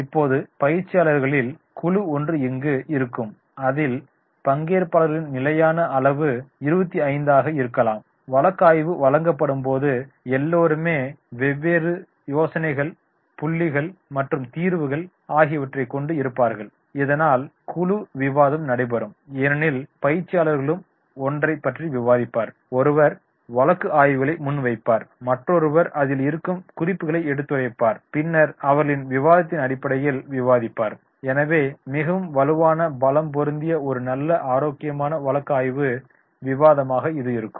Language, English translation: Tamil, Now, there will be a group of the trainees, normally the standard size maybe 25 and when the case is given, everyone will come out with the different ideas, different points, different solutions, so that there will be group discussion because the trainees will also discuss, one will come, he will present the case study, another will take these note and then he will discuss on basis of that discussion